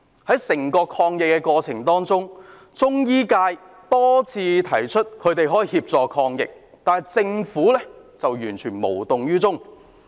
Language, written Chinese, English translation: Cantonese, 在整個抗疫過程當中，中醫界多次提出，他們可以協助抗疫，但政府完全無動於衷。, In the entire anti - epidemic process the Chinese medicine sector has mentioned time and again that they can help with the anti - epidemic work but the Government has remained nonchalant